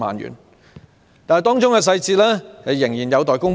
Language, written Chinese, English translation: Cantonese, 然而，當中細節仍有待公布。, However the details have yet to be announced